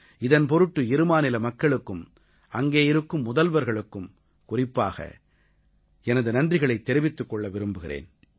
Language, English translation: Tamil, I would like to especially express my gratitude to the people and the Chief Ministers of both the states for making this possible